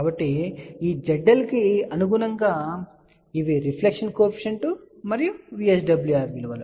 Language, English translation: Telugu, So, corresponding to this Z L, these are the values of reflection coefficient and VSWR